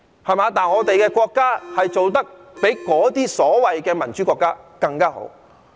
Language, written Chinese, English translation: Cantonese, 相反，我們的國家做得比那些所謂的民主國家更加好。, On the contrary our State is doing much better than those so - called democratic countries